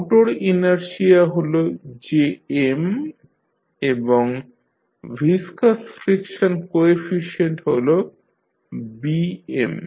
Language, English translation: Bengali, Motor inertia is jm and viscous friction coefficient is Bm